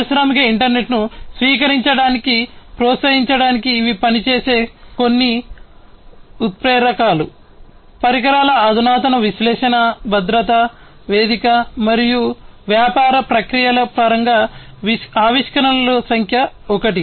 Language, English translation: Telugu, These are some of these catalysts which will work to promote the adoption of industrial internet, innovations in terms of equipment advanced analytics safety platform and business processes is number 1